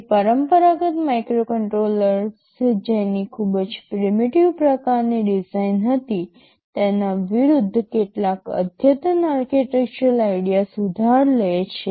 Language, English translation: Gujarati, It borrows some advanced architectural ideas in contrast to conventional or contemporary microcontrollers that had very primitive kind of designs